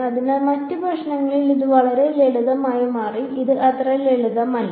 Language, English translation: Malayalam, So, this turned out to be really simple in other problems it will not be so simple